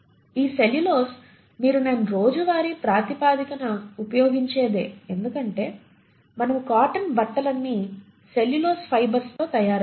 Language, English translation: Telugu, And this cellulose is something that you and I use on a day to day basis because all our cotton clothes are nothing but made up of cellulose fibres